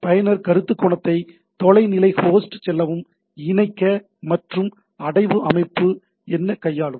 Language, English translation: Tamil, So, what is the user perspective connect to the remote host, navigate and manipulate the directory structure right